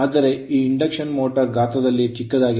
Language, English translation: Kannada, But anyways this is induction motor is a smaller size